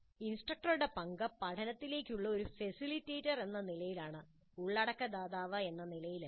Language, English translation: Malayalam, Role of instructor is as a facilitator of learning and not as provider of content